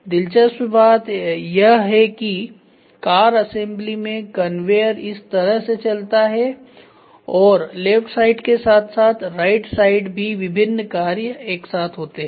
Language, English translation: Hindi, Interestingly, in car assembly what happens the conveyor moves like this and you have a set of works happening in the left hand side as well as in the right inside